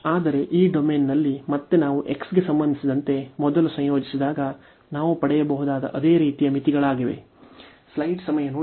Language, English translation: Kannada, But, in this domain again it is a same similar limits we can get, when we integrate first with respect to x